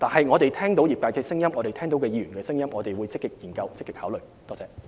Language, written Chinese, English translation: Cantonese, 我們聽到業界及議員的聲音，我們會積極考慮和研究。, We will actively consider and study the views received from the industry and Members